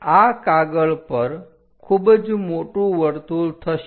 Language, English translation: Gujarati, It will be very large circle on the sheet